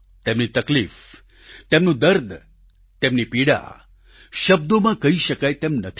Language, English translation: Gujarati, Their agony, their pain, their ordeal cannot be expressed in words